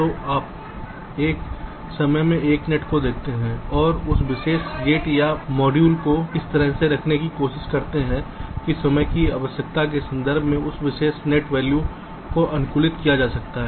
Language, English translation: Hindi, so you look at one net at a time and try to place that particular gate or module in such a way that that particular net value gets optimized in terms of the timing requirement